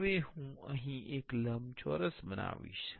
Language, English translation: Gujarati, Now, I will create a rectangle here